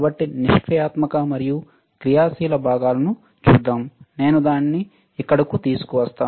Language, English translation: Telugu, So, let us see passive and active components I will just bring it all the way here